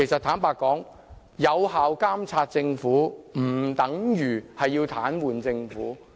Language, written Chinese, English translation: Cantonese, 坦白說，有效監察政府不等於要癱瘓政府。, To be honest effectively monitoring the Government does not mean paralysing the Government